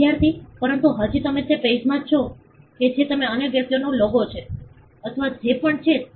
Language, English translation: Gujarati, Student: But still in that page that the other persons logo, or whatever